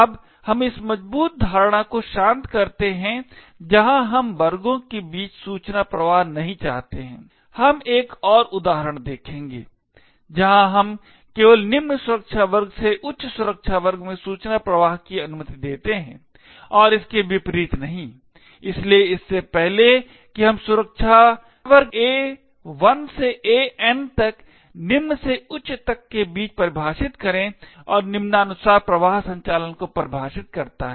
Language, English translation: Hindi, Now let us relax this strong assumption where we do not want to have information flow between classes, we will see another example where we only permit information flow from a lower security class to a higher security class and not vice versa, so as before we define security class A1 to AN ranging from low to high and define the flow operation as follows